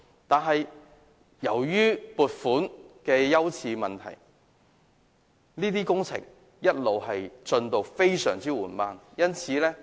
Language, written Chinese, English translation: Cantonese, 可是，由於撥款的優次問題，這些工程的進度一直非常緩慢。, However due to the funding priority the progress of the project has been very slow